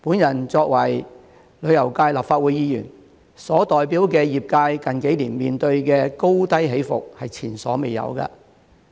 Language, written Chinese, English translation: Cantonese, 我作為旅遊界立法會議員，所代表的業界近幾年面對的高低起伏前所未有。, The tourism sector which I represent as a Legislative Council Member has experienced unprecedented ups and downs in recent years